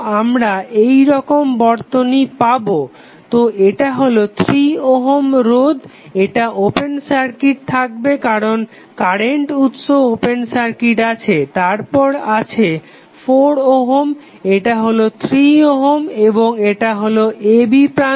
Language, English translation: Bengali, We will get the circuit like this so this is 3 ohm this would be open circuited because current source would be open circuited then you have 6 ohm, this is 3 ohm and this is the terminal a and b